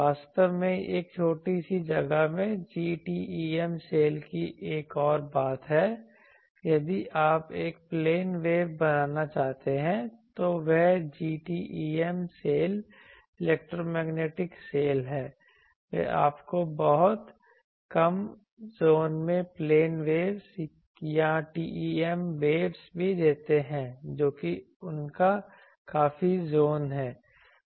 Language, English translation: Hindi, Actually this is also another thing GTEM cell actually in a small space, if you want to create a plane wave that GTEM cell GHz transverse electromagnetic cell they also give you plane waves or TEM waves in a very short zone that is their quite zone, so this is also used for testing inside lab